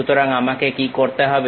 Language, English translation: Bengali, So, what I have to do